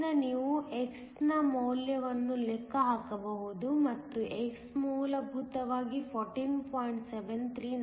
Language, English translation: Kannada, So, you can calculate the value of x, and x is essentially 14